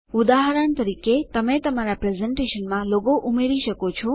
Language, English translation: Gujarati, For example, you can add a logo to your presentation